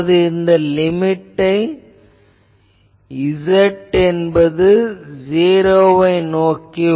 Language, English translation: Tamil, So, this will be limit z tending to 0